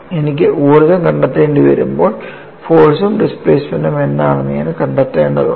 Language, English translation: Malayalam, When I have to find out the energy, I need to find out what is the force and displacement